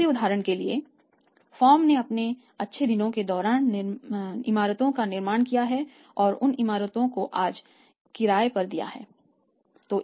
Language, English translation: Hindi, Second for example the firm during their good days they have constructed the buildings and those buildings are rented out today